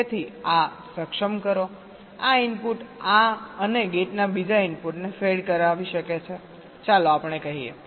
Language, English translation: Gujarati, so this enable, this input can be feeding the second input of this and gate, lets say so